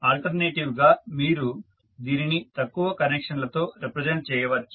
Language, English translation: Telugu, Alternatively, you can also represent it in less number of connections